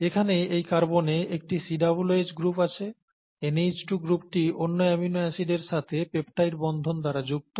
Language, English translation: Bengali, This has a COOH group here this carbon atom; the NH2 group here which is actually bonded on through the peptide bond to the other amino acid